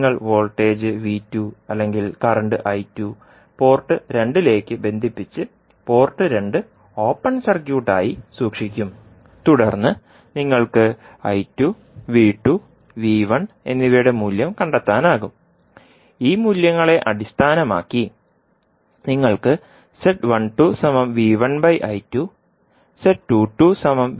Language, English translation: Malayalam, You will connect voltage V2 or current I2 to port 2 and keep port 1 open circuited, then, you will find the value of I2, V2 and V1 and based on these values you can calculate the value of Z12 as V1 upon I2 and Z22 as V2 upon I2